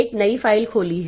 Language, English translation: Hindi, So, a new file has opened